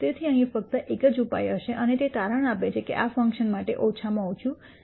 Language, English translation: Gujarati, So, there is going to be only one solu tion here and it turns out that that solution is a minimum for this function